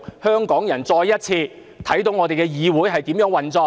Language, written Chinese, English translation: Cantonese, 香港人再一次看到我們的議會是如何運作。, Once again the people of Hong Kong see how this Council works